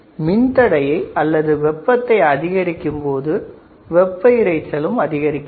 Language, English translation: Tamil, And lowering the resistance values also reduces the thermal noise